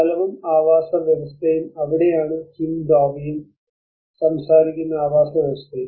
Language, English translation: Malayalam, So the habit and habitat that is where Kim Dovey also talks about habitats